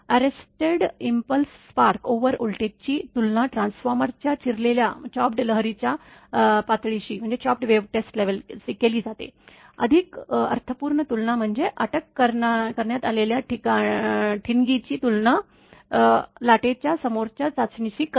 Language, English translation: Marathi, The arrested impulse spark over voltage is compared to the chopped wave test level of the transformer a more meaningful comparison is to compare the arrested spark over with the wave front test